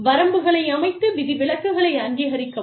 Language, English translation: Tamil, Set limits and approve exceptions